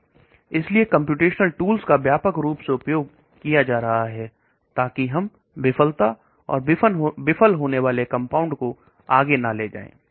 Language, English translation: Hindi, So that is why the computation tools are being widely used so that we try to find out failure possible failure compounds and do not take it further